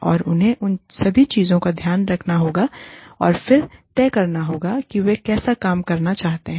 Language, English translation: Hindi, And, we need to take, all of these things into account, and then decide, how they want to work